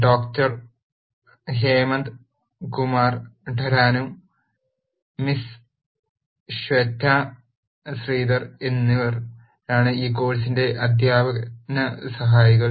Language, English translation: Malayalam, The, teaching assistants for this course are Doctor Hemanth Kumar Tanneru and Miss Shweta Shridhar